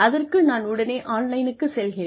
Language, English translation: Tamil, I just go online